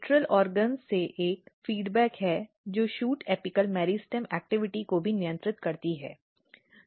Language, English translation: Hindi, And if you look this there is a feedback from lateral organs which also controls the shoot apical meristem activity